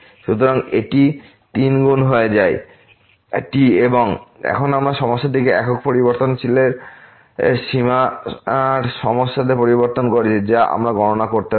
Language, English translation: Bengali, So, it becomes 3 times and now, we have changed the problem to the problem of limits of single variable which we can compute